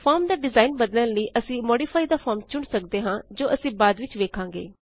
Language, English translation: Punjabi, To change the form design, we can choose Modify the form, which we will see later